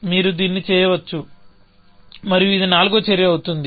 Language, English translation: Telugu, So, you can do this, and this becomes the fourth action